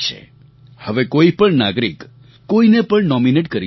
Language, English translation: Gujarati, Now any citizen can nominate any person in our country